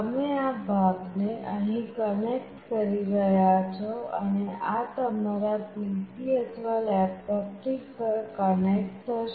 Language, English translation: Gujarati, You will be connecting this part here and this will be connected to your PC or laptop